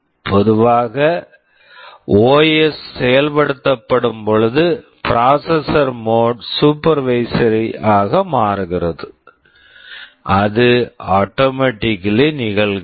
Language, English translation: Tamil, Normally when the OS executes, the processor mode is supervisory, that automatically happens